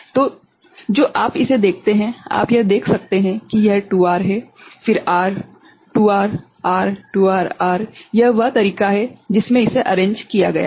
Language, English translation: Hindi, So, what you see this also you can see this is a 2R then R; 2R R, 2R R this is the way it has been arranged ok